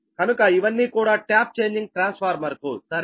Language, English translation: Telugu, so this is for the tap changing transformer right now